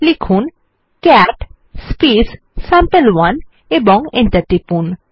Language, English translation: Bengali, Type cat sample1 and press enter